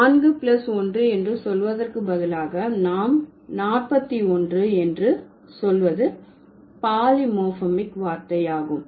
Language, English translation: Tamil, Instead of saying 4 plus 1, we simply say 41 which is a polymorphemic word